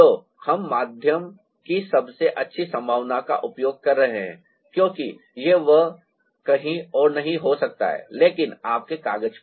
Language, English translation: Hindi, so we are using the best possibility of the medium, because it cannot happen anywhere else but on your paper